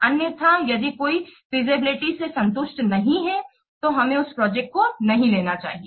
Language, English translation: Hindi, Otherwise, if any of the feasibility it is not satisfied, then we should not take up that project